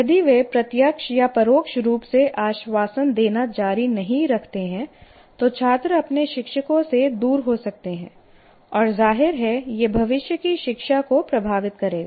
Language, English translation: Hindi, And that is what the teachers, if they don't do such, keep on giving reassurances like that directly or indirectly, the students can turn away from their teachers and obviously that will affect the future learning